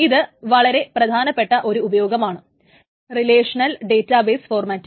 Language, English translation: Malayalam, Note that this is one of the very, very important advantages of a relational database format